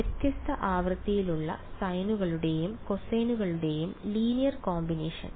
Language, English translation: Malayalam, Linear combination of sines and cosines of different frequencies right